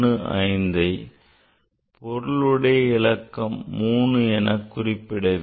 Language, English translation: Tamil, 5 will have the significant figure 3